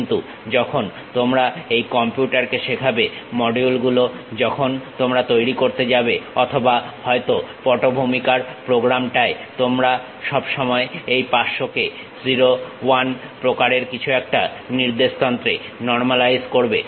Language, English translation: Bengali, But, when you are teaching it to the computer the modules, when you are going to develop or perhaps the background program you always normalize this one 500 to something like 0 1 kind of coordinate system